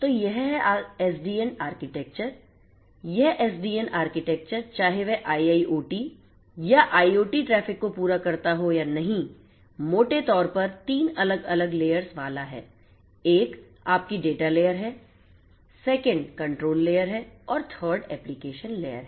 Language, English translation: Hindi, So, this SDN architecture irrespective of whether it caters to the IIoT or IoT traffic or not, is going to have 3 different layers broadly 1 is your data layer, 2nd is the control layer and 3rd is the application layer